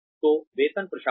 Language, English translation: Hindi, So, salary administration